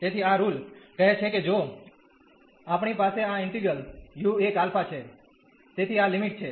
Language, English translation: Gujarati, So, this rule says if we have this integral u 1 alpha, so these are the limits